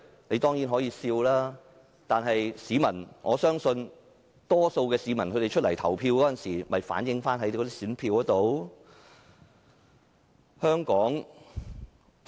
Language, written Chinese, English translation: Cantonese, 你當然可以笑，但我相信可以從市民投下的選票找出答案。, Of course you may laugh out loud but I am sure we will find the answer from the votes cast by members of the public